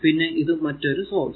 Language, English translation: Malayalam, So, this is a current source